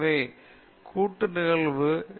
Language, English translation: Tamil, So, your joint probability is 0